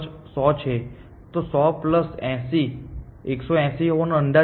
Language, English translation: Gujarati, So, 100 plus 80 is estimated to be 180